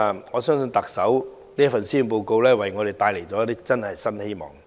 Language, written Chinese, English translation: Cantonese, 我相信特首這份施政報告真的為我們帶來了一些新希望。, I believe this Policy Address of the Chief Executive has really brought us some new hope